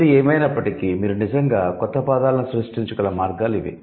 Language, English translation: Telugu, However, these are the most commonly found ways by which you can actually create new words